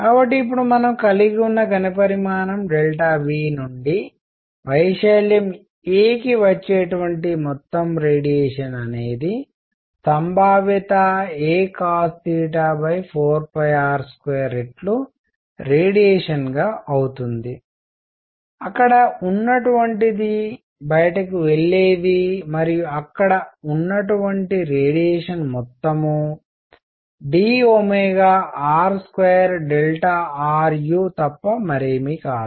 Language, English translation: Telugu, So, now we have the amount of radiation coming from volume delta V to area a is going to be probability a cosine theta divided by 4 pi r square times the radiation; that is contained there which is going out and amount of radiation contained there is nothing but d omega r square delta r u